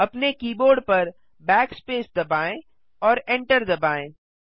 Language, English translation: Hindi, Press Backspace on your keyboard and hit the enter key